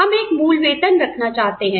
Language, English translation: Hindi, We want to have a base salary